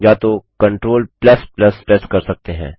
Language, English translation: Hindi, Alternately, you can press Ctrl + +